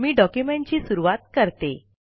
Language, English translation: Marathi, Let me begin the document